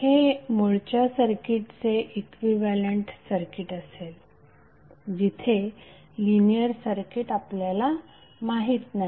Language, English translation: Marathi, So this would be the equivalent circuit of your the original circuit where the linear circuit is not known to us